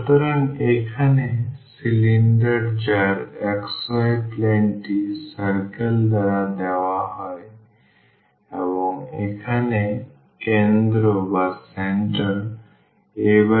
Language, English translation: Bengali, So, the cylinder here whose objection on the xy plane is given by the circle and the center here is a by 2 and 0